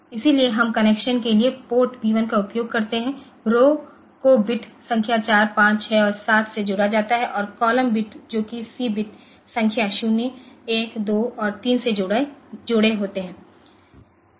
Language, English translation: Hindi, So, we use a port p 1 for the connection the rows are connected to bit number 4, 5, 6 and 7 and the column bit that the C are connected to bit number 0, 1, 2 and 3